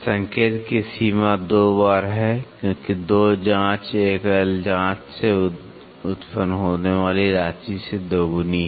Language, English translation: Hindi, The range of indication is twice, because 2 probes is twice the amount resulting from a single probe check